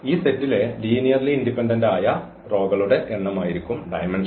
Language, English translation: Malayalam, The dimension will be the number of linearly independent rows in that span in that set here